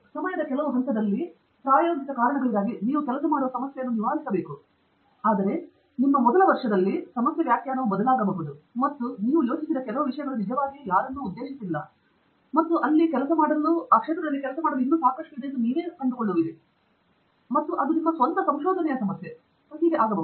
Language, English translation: Kannada, Of course at some point in time, for practical reasons, you have to freeze a problem that you are working on, but however, in the first year of your working, the problem definition can change, and some things that you thought were trivial have really not been addressed by anyone, and you find that there is a lot to work in there, and that can become your own problem of research and so on